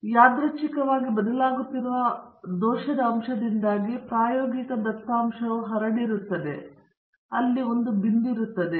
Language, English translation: Kannada, So, this is the true response, but the experimental data because of the randomly varying error component would be scattered and so this is where the point lies